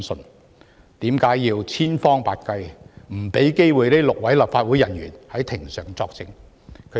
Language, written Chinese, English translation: Cantonese, 為何要千方百計阻止這6位立法會人員在庭上作證？, Why must every means possible be employed to prevent these six Legislative Council officers from giving evidence in court?